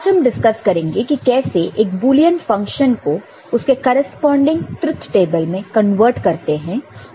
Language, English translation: Hindi, Today we shall discuss how to convert a Boolean function to corresponding truth table